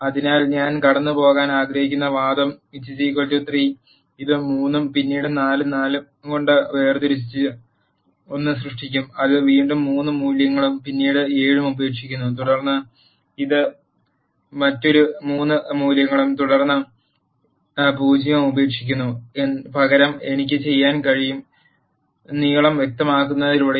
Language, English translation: Malayalam, So, the argument which I want to pass is by equal to 3, this will create one separated by 3 and then 4 4 and it leaves again 3 values and then 7 and then it leaves another 3 values and then a 10 instead I can do the same by specifying the length